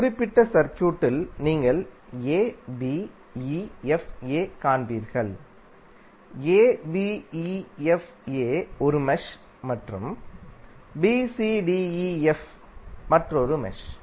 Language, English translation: Tamil, In the particular circuit, you will see abefa, abefa is 1 mesh and bcdef, bcdef is another mesh